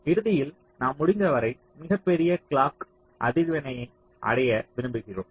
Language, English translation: Tamil, so ultimately, the bottom line is we want to achieve the greatest possible clock frequency